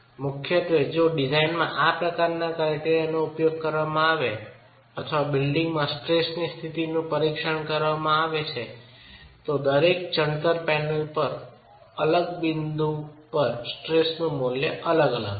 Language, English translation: Gujarati, Primarily as I said if you were to use this sort of a criterion in design or you were to examine the states of stresses in a building, every masonry panel at every different point is going to have a different value of stress